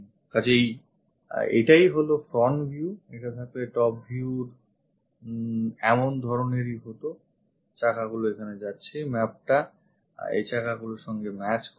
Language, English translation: Bengali, So, this is the front view, top view would have been such kind of thing having this one wheels are going here, map matched with these wheels